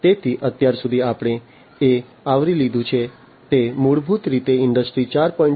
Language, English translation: Gujarati, So, far what we have covered are basically the different fundamental concepts in Industry 4